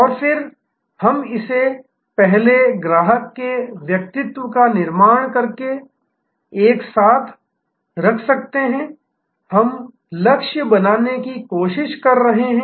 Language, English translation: Hindi, And then, we can put it together by first creating a persona of the customer, we are trying to target